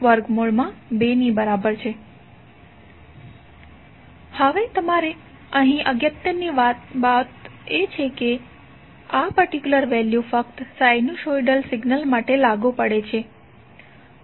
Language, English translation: Gujarati, Now you have to note the important point here that this particular value is applicable only for sinusoidal signals